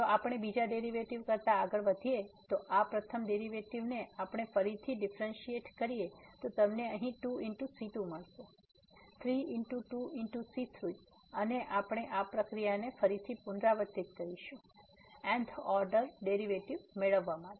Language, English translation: Gujarati, Then if we move further, than the second derivative, so out of this first derivative we can again differentiate this you will get here 3 times 2 into and so on and then we can repeat this process further to get the th order derivatives